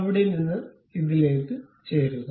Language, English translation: Malayalam, Then from there, join this one